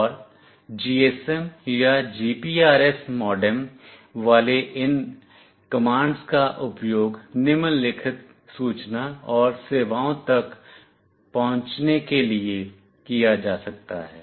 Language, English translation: Hindi, And these commands with GSM or GPRS modem can be used to access the following information and services